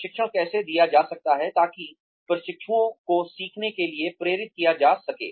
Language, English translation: Hindi, How can training be delivered so, that trainees are motivated to learn